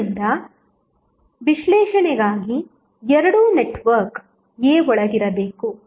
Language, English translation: Kannada, So, both should be inside the network A for analysis